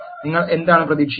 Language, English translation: Malayalam, What would do you expect